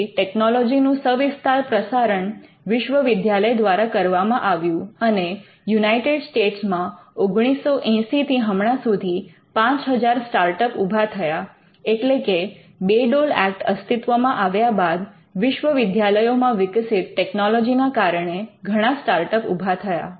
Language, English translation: Gujarati, So, dissemination of technology for a wider distribution happen through the universities and in the US especially more than 5000 start ups have been created since 1980, that is since the Bayh Dole Act many startups have come through by using technology that was developed by the universities